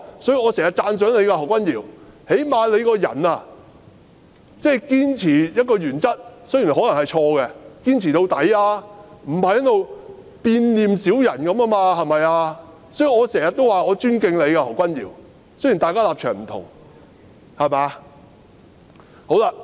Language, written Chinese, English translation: Cantonese, 所以，我經常讚賞何君堯議員，最少他堅持原則——雖然可能是錯的——他仍然會堅持到底，而不是在這裏好像變臉小人一樣，對嗎？, This is why I often praise Dr Junius HO for at least he perseveres with his principles which may be wrong but he still perseveres with them till the end and does not act like those despicable crooks who are changing their faces here . Right?